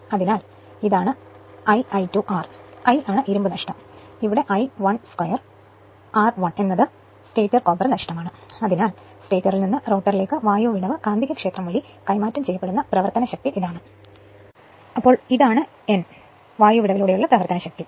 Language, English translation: Malayalam, So, this is here it is I i square R i is that your iron loss and here I 1 square r 1 is the stator copper loss and hence is the power that is transferred from the stator to the rotor via the air gap magnetic field this is known as the power across the air gap